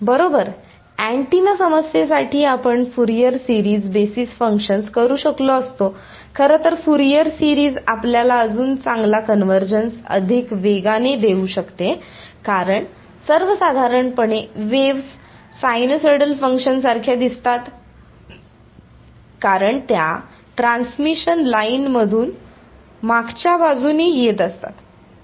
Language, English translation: Marathi, Right you could have done a Fourier series basis functions in fact for a antenna problems Fourier series is may give you better convergence faster because in general the waves look like sinusoidal functions because they coming from the back side from a transmission line